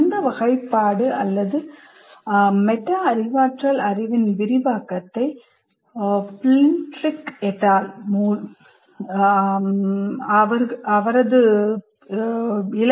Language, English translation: Tamil, This classification or this elaboration of metacognitive knowledge is to Plintric and other authors